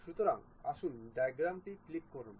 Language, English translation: Bengali, So, let us click Diametric